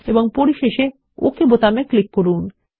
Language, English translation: Bengali, And finally click on the OK button